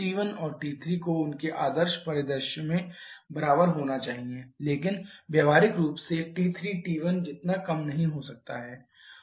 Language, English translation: Hindi, 3 T 1 and T 3 has to be equal in their ideal scenario but practically T 3 may not be as low as T 1